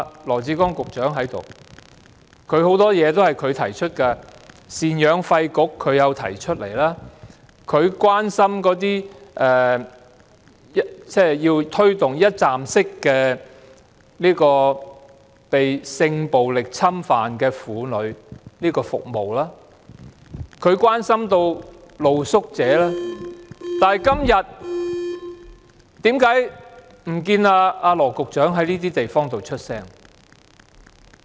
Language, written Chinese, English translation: Cantonese, 羅致光局長在席，有很多項目也是他提出的，贍養費管理局是他提出的，他要推動被性暴力侵犯的婦女的一站式服務；他關心露宿者，但為何今天不見羅局長在這些地方發聲？, Secretary Dr LAW Chi - kwong is present and he has put forward many proposals previously . He used to propose the setting up of a maintenance payment board promote the provision of one - stop services for abused women in sexual violence cases and express concern about the plight of street sleepers but how come Secretary Dr LAW has said nothing about these issues today?